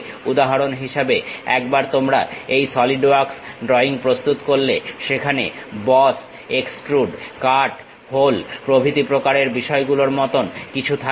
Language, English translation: Bengali, For example, once you prepare this Solidworks drawing, there will be something like boss, extrude, cut, hole kind of thing